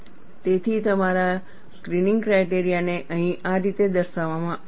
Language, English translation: Gujarati, So, your screening criteria is depicted here, in this fashion